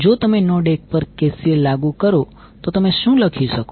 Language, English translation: Gujarati, So that is if you have like KCL at node 2 what you can write